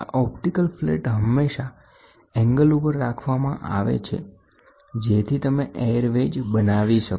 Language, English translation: Gujarati, This optical flat is always inclined at an angle so that you create an air wedge